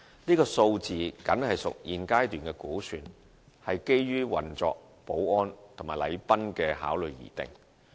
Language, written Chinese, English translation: Cantonese, 這數字僅屬現階段的估算，是基於運作、保安及禮賓的考慮而定。, This amount is only an estimated figure at the existing stage which is based on operational security and protocol consideration